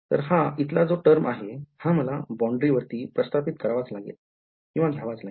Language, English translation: Marathi, So, this term over here is what I have to enforce on the boundary right